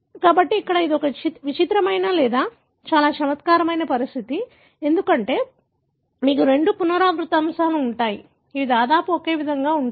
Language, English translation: Telugu, So, here this is a peculiar or very intriguing condition, because you have two repeat elements, which are almost identical in sequence